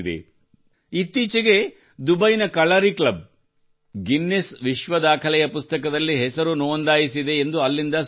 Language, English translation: Kannada, Recently news came in from Dubai that the Kalari club there has registered its name in the Guinness Book of World Records